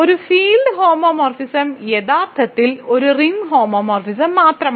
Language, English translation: Malayalam, Any ring homomorphism sends 1 to 1 and a field homomorphism is actually just a ring homomorphism